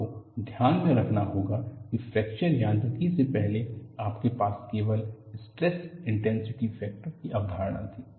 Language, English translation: Hindi, And before fracture mechanics, you had only the concept of stress concentration factor